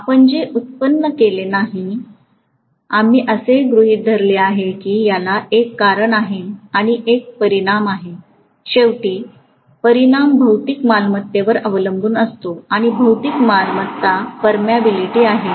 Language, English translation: Marathi, We have not derived it, we have assumed that there is a cause and there is an effect and ultimately the effect depends upon the material property and the material property is permeability